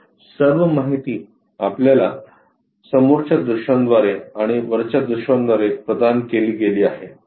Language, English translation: Marathi, So, all the information is provided from our front views and top views